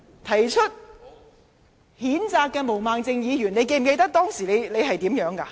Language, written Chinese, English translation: Cantonese, 提出譴責議案的毛孟靜議員，你記得你當時怎麼說嗎？, Ms Claudia MO you are the mover of this censure motion . Do you remember what you said at the time?